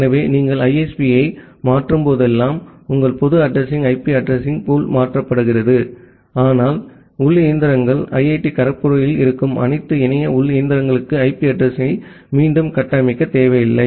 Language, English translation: Tamil, So, whenever you are making a change of the ISP your public address IP address pool is getting changed, but the internal machines you do not need to reconfigure the IP address for all the internet internal machines which are there inside IIT Kharagpur